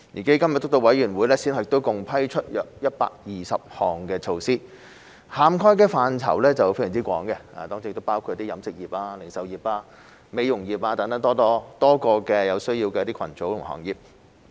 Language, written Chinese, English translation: Cantonese, 基金督導委員會先後共批出約120項措施，涵蓋範疇非常廣泛，當中包括飲食業、零售業、美容業等多個有需要的群組和行業。, The Steering Committee has approved a total of some 120 measures successively with a very wide coverage including the catering industry retail industry beauty industry and many other groups and industries in need